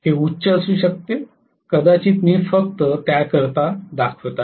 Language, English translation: Marathi, It may be higher I am just showing for the heck of it